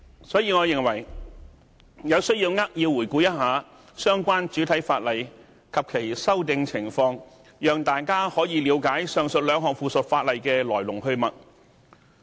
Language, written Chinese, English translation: Cantonese, 所以，我認為有需要扼要回顧相關主體法例及其修訂情況，讓大家可以了解上述兩項附屬法例的來龍去脈。, Therefore I believe it is necessary to briefly review the principal legislation and its amendments so that Members can gain some knowledge of background of the two items of subsidiary legislation